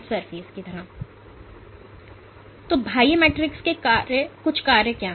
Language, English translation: Hindi, So, what are some of the functions of extracellular matrix